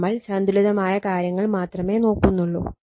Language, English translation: Malayalam, We will consider only balanced thing